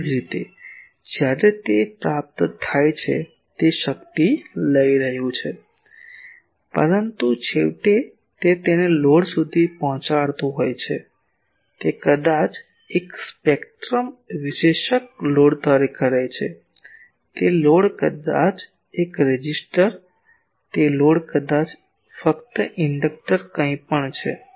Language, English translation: Gujarati, Similarly, when it is receiving; it is taking the power; but finally, it is delivering it to a load, that load maybe a spectrum analyser, that load maybe simply a resistor, that load maybe simply an inductor anything